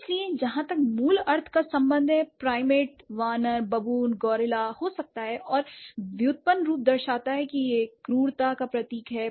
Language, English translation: Hindi, So, as for as core meaning is concerned, primate could be a ape, baboon gorilla and the derived form is, it indicates or it symbolizes brutishness